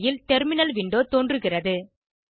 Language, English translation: Tamil, A terminal window appears on your screen